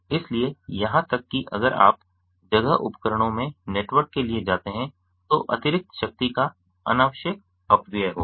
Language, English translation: Hindi, so even if you go for network based in place devices, there will be an unnecessary wastage of additional power